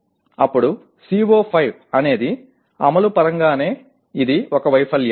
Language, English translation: Telugu, Then CO5 itself is that is in terms of implementation itself it is a failure, okay